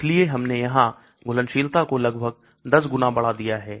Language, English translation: Hindi, So we have almost increased the solubility by 10 times here